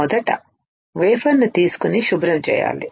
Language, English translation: Telugu, Firstly, the wafer is taken and cleaned